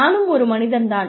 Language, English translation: Tamil, I am a person